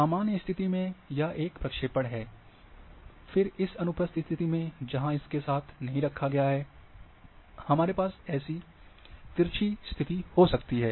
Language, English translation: Hindi, So, in the normal position, and this is the one projection, then in this transverse position where it is not kept along with this, and then we can have oblique position